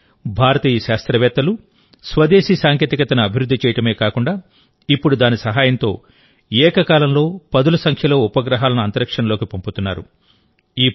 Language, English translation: Telugu, But the scientists of India not only developed indigenous technology, but today with the help of it, dozens of satellites are being sent to space simultaneously